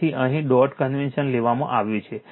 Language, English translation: Gujarati, So, here dot convention is taken right